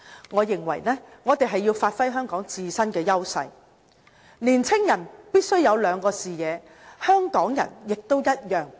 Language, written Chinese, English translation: Cantonese, 我認為，我們若要發揮香港自身的優勢，年青人必須有兩個視野，香港人也一樣。, I consider that in order for us to leverage on Hong Kongs own advantages our young people and Hong Kong people in general must develop two perspectives